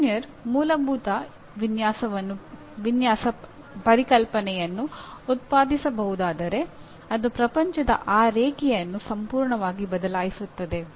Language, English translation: Kannada, If one can produce, if an engineer can produce a fundamental design concept it just changes that line of world completely